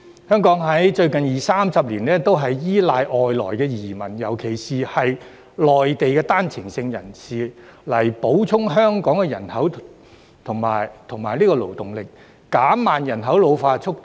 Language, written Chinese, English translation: Cantonese, 香港在最近二三十年，都是依賴外來移民，尤其是內地的單程證人士，以補充香港的人口和勞動力，減慢人口老化速度。, In the recent 20 to 30 years Hong Kong has relied on immigrants especially One - way Exit Permit holders from the Mainland to replenish the population and labour force in Hong Kong and reduce the speed of population ageing